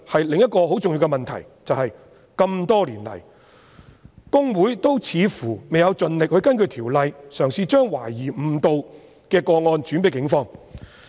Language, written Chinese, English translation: Cantonese, 另一個很重要的問題是，這麼多年來，公會似乎未有盡力根據《條例》，嘗試將懷疑誤導的個案轉介警方。, Another very important issue is that over the years HKICPA has apparently not tried its best to refer suspected cases of misleading representation to the Police in accordance with the Ordinance